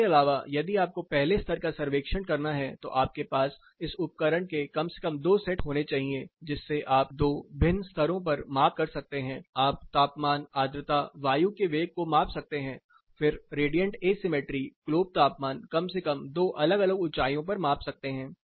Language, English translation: Hindi, Apart from this if you have to do level one survey, you have to have at least two sets of instruments like this, measuring into different levels you can measure temperature humidity, air velocity, then the radiant asymmetry globe temperature air at least two different heights plus you need a data logger which needs to continuously be recording at specific frequencies